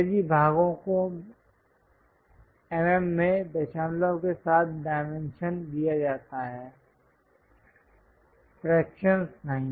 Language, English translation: Hindi, English parts are dimensioned in mm with decimals, not fractions